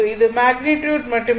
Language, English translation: Tamil, This is magnitude only